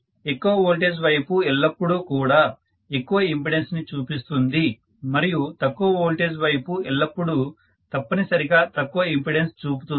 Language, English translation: Telugu, So higher voltage side will always manifest larger impedance and lower voltage side will always manifest, you know it is going to essentially show lower, higher current because of which it will manifest lower impedance